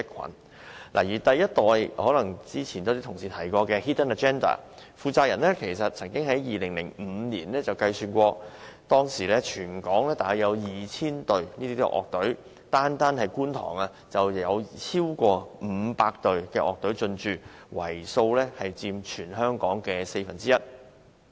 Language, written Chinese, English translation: Cantonese, 剛才也有同事提及過的 Hidden Agenda ，其第一代負責人曾在2005年估算過，當時全港約有 2,000 隊樂隊，單在觀塘，已經有超過500隊樂隊進駐，佔全香港樂隊總數約四分之一。, Some Members have mentioned Hidden Agenda HA a live house . The responsible person of the first generation HA estimated in 2005 that Kwun Tong alone housed over 500 music bands or one quarter of some 2 000 music bands in Hong Kong that time